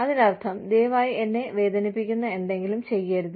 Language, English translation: Malayalam, Which means, please do not do something, that can hurt me